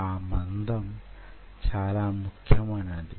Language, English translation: Telugu, that thickness is very important